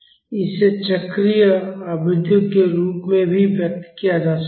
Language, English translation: Hindi, This can be expressed in terms of the cyclic frequencies as well